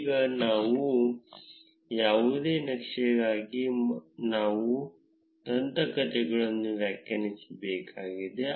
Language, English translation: Kannada, Now, for any chart, we need to define the legends